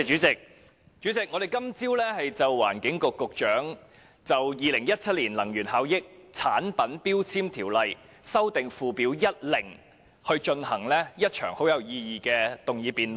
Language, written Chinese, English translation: Cantonese, 主席，我們今天早上就環境局局長提出的《2017年能源效益條例令》進行了一場很有意義的辯論。, President this morning we conducted a very meaningful debate on the Energy Efficiency Ordinance Order 2017 moved by the Secretary for the Environment . We know very clearly that the Amendment Order seeks to include three types of electrical appliances ie